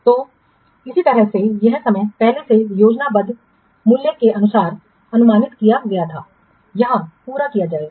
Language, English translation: Hindi, So, similarly the time it was previously estimated according to plan value, the work will be completed here